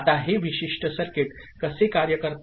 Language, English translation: Marathi, Now, how this particular circuit works